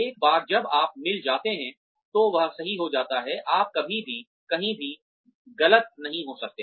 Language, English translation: Hindi, Once you have got, that mix right, you can never go wrong, anywhere else